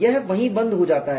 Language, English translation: Hindi, It stops there